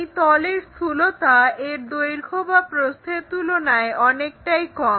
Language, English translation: Bengali, The thickness is much smaller compared to the either the length or breadth of that